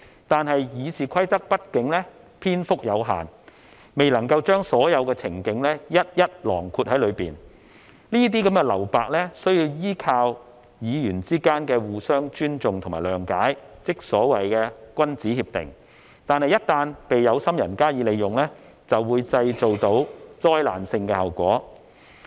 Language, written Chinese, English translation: Cantonese, 但是，《議事規則》畢竟篇幅有限，未能夠將所有的情景一一囊括在內，這些留白需要依靠議員之間的互相尊重和諒解，即所謂的君子協定，但一旦被有心人加以利用，便會帶來災難性效果。, However RoP is not exhaustive and cannot cover all scenarios . What is left uncovered needs Members mutual respect and understanding or what we call a gentlemens agreement . However when people of ill intent take advantage of this the outcome can be disastrous